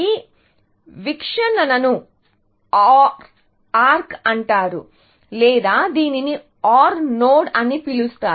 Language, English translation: Telugu, This view is called an OR arc, or this, would be called as an OR node